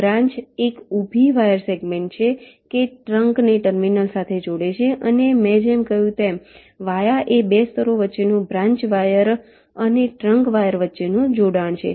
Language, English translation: Gujarati, branch is a vertical wire segment that connects a trunk to a terminal and, as i said, via is a connection between two layers, between a branch wire, between a trunk wire